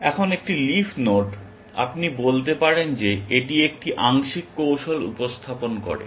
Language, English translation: Bengali, Now, a leaf node, you can say is represents a partial strategy